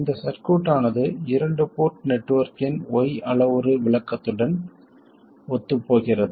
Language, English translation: Tamil, This circuit is what corresponds to the Y parameter description of a 2 port network